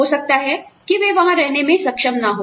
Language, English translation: Hindi, They may not be able to live there